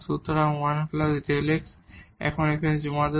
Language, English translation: Bengali, So, 1 plus delta x we will submit here